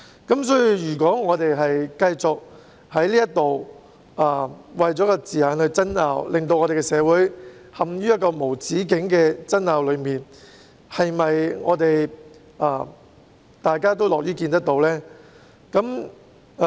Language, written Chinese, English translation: Cantonese, 因此，如果我們繼續為了字眼而爭拗，令香港社會陷入無止境的爭拗，這是否大家樂於見到的呢？, Therefore if we keep on arguing about the wording and thus drag the society of Hong Kong into endless disputes is this something we are glad to see?